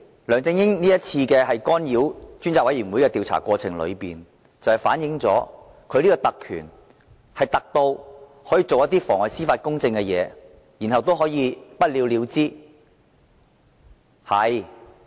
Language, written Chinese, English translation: Cantonese, 梁振英這次干擾專責委員會的調查過程，反映出其特權是"特"至可作出妨礙司法公正的事，然後不了了之。, LEUNG Chun - yings interference with the process of the Select Committees inquiry this time reflects that he is privileged to the extent of being allowed to pervert the course of justice without being held liable afterwards